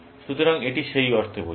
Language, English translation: Bengali, So, it is in that sense